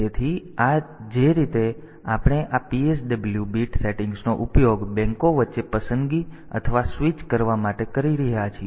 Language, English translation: Gujarati, So, this way we can use this PSW bit settings for selecting or switching between the banks